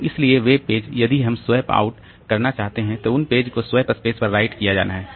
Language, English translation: Hindi, So, those pages so if we want to swap out then those pages are to be written to the swath space